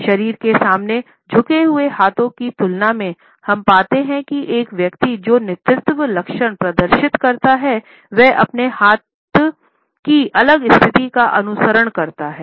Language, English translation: Hindi, In comparison to hands clenched in front of the body, we find that a person who displays leadership traits follows a different hand position automatically